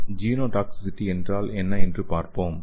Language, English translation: Tamil, So let us see what is nanotoxicology